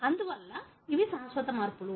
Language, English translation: Telugu, Therefore, these are permanent alterations